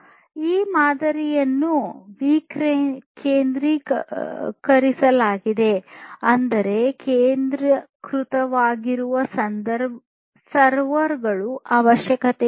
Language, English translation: Kannada, So, this model is decentralized; that means, there is no requirement for having a centralized server